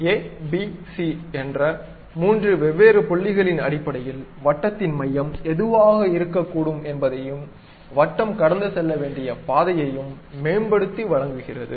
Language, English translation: Tamil, Based on that a, b, c for three different points, it optimizes and provides what should be the center of that circle where exactly circle has to pass